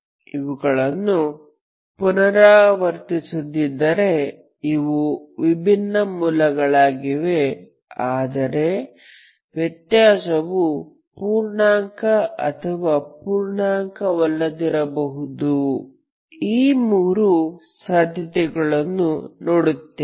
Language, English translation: Kannada, If they are not repeated, if they are distinct roots but the difference is integer or the difference is non integer, these are the three cases you will see, okay